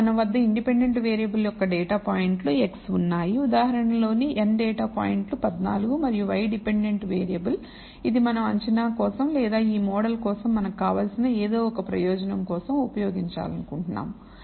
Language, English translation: Telugu, We have data points x I of the independent variable we have n data points in the example n is 14 and y is the dependent variable which we want to use for prediction or whatever purpose that we want for this model